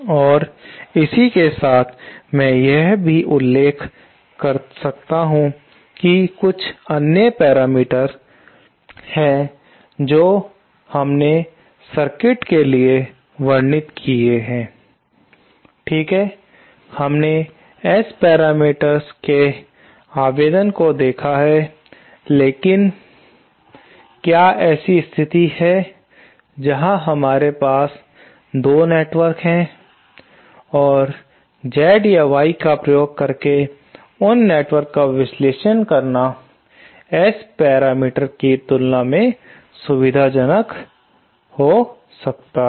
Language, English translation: Hindi, And in passing, I might also refer that there are others that parameters that we described for the circuit, okay, we have seen the application of the S parameters but is there a situation where we have 2 networks and analysis of those 2 networks using Z parameters or Y parameters might actually be more, more convenient as compared to the S parameters themselves